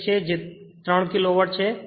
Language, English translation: Gujarati, 6 and it is 3 Kilowatt